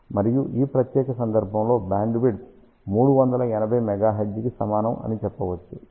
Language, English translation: Telugu, And in this particular case we can say that bandwidth is equal to 380 megahertz which is 13 percent